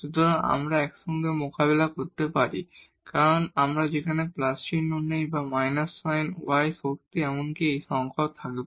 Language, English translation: Bengali, So, we can deal this together because, so whether we take the plus sign there or the minus sign the y power even will have the same number